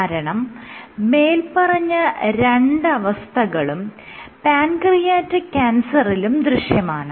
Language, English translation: Malayalam, Same two points are true for pancreatic cancer also